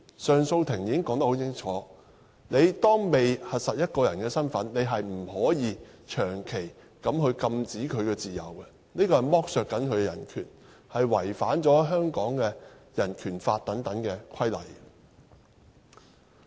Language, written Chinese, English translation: Cantonese, 上訴庭已經說得很清楚，在核實一個人身份之前，不能夠長期限制其自由，這是在剝削他的人權，是違反《香港人權法案條例》等規例。, The Court of Appeal has made it very clear that before the status of a person is verified his personal liberty should not be restricted . Otherwise it is an exploitation of his human rights and a contravention of the Hong Kong Bill of Rights Ordinance and other relevant regulations